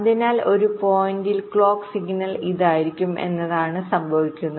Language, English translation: Malayalam, so what might happen is that in a point x the clock signal might be like this